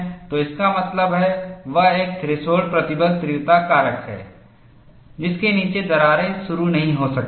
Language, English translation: Hindi, So, that means, there has to be a threshold stress intensity factor, below which crack may not initiate